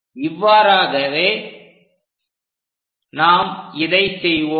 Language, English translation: Tamil, So, we will do it in this same way